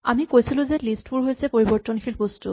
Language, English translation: Assamese, We said that lists are mutable objects